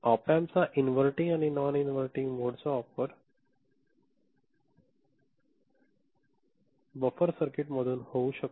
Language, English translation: Marathi, Op Amp in inverting mode and non inverting mode can be used as a buffer circuit